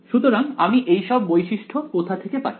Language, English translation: Bengali, So, where do I get these properties from